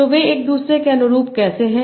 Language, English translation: Hindi, So how they correspond to each other